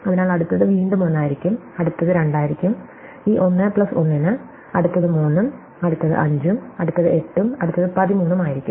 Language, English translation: Malayalam, So, the next one will be 1 again, next one will be 2, for this 1 plus 1, next one will be 3, next one will be 5, next one will be 8, next one will be 13 and so on